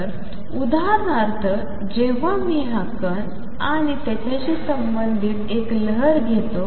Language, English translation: Marathi, So, for example, when I take this particle and a wave associated with it